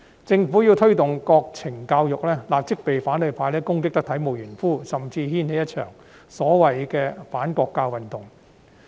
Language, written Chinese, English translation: Cantonese, 政府要推動國民教育，便立即會被反對派攻擊得體無完膚，甚至掀起一場所謂的反國教運動。, When the Government tried to promote national education it was attacked severely by the opposition camp immediately and even a so - called anti - national education movement was triggered